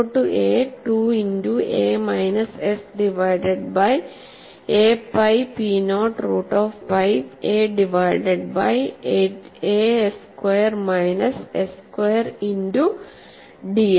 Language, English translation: Malayalam, I have this load as 2 into a minus s divided by a into pi p naught square root of pi a divided by a squared minus s squared ds